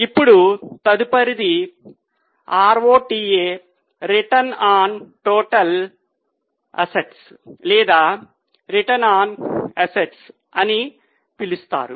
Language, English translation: Telugu, Now, next is R O P A return on total assets or return on assets as it has been called here